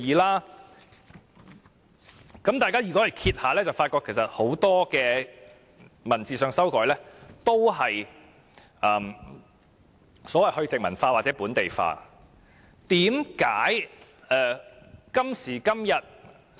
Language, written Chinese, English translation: Cantonese, 如果大家翻閱法例，便會發覺其實很多文字上的修改，都是"去殖民化"或"本地化"。, If Members refer to the legislation they would realize that many amendments to the terms therein have been made for the purpose of decolonization or localization